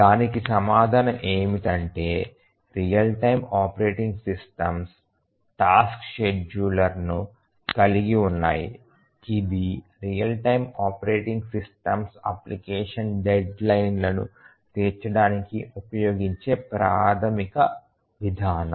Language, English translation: Telugu, The answer is that the real time operating systems have a tasks scheduler and it is the tasks scheduler which is the primary mechanism used by the real time operating systems to meet the application deadlines